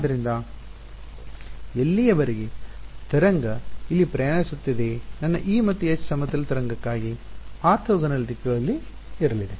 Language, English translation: Kannada, So, as long as so, the wave is travelling over here my E and H are going to be in orthogonal directions for a plane wave right